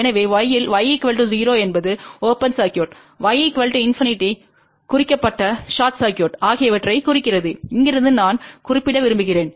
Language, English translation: Tamil, So, in y, y equal to 0 implies open circuit, y equal to infinity implied short circuit and from here also I want to mention